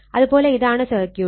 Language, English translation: Malayalam, So, this is the circuit is given